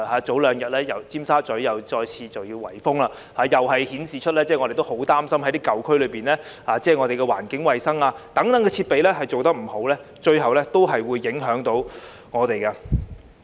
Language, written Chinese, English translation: Cantonese, 早兩天，尖沙咀又再次有圍封行動，這顯示出——我們十分擔心——舊區大廈有關環境衞生的設備做得不好，最後是會影響我們的。, Two days ago Tsim Sha Tsui just saw another lockdown and this has shown―something very worrying to us―that we will be the ultimate victims of the improper fitting of environmental hygiene facilities in the buildings in old districts